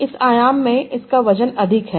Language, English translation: Hindi, It has a high weight in this dimension,